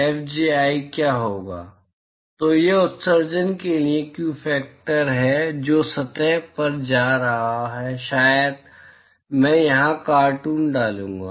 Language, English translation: Hindi, What will be Fji, so that is the view factor for emission which is leaving surface to maybe I will put the cartoon here